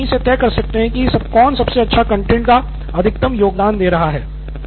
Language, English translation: Hindi, You can easily understand who is bringing in the best content who is providing maximum contribution to this